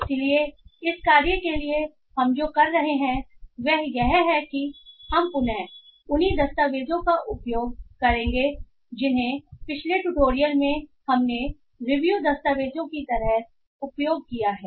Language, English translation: Hindi, So for this task what we will be doing is that we will be again using the same documents the review documents that we have used in the previous tutorial